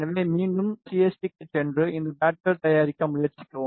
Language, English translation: Tamil, So, go to CST again and try to make these pads